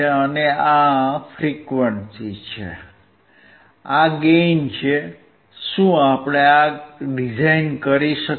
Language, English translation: Gujarati, We have frequency; we have gain; can we design this